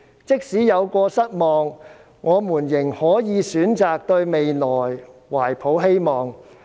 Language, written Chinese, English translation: Cantonese, 即使有過失望，我們仍可以選擇對未來懷抱希望。, Even if we have been disappointed we can choose to feel hopeful for our future